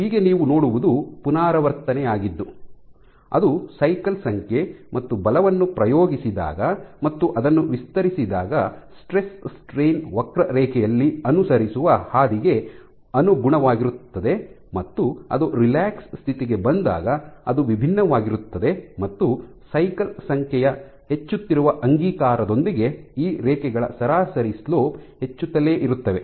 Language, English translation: Kannada, So, what you see is so the repetition is corresponds to the cycle number and what you see is the path by which it follows in the stress strain curve when you exert when you stretch it and when you relax it is different and also the average slopes of these lines keeps on increasing with the increasing passage of cycle number